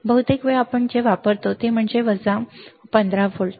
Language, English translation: Marathi, Most of the time what we use is, plus minus 15 volts